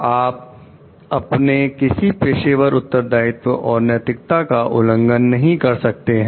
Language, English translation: Hindi, You cannot like violate any of your professional responsibilities and ethics